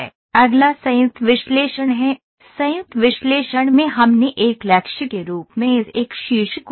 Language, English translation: Hindi, Next is joint analysis, in joint analysis we added this one vertex as a target